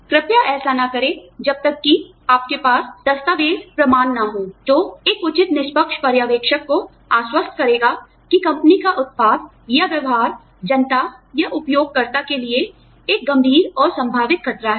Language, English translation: Hindi, Please do not do this, unless, you have documentary evidence, that would convince a reasonable impartial observer, that the company's product or practice, poses a serious and likely danger, to the public or user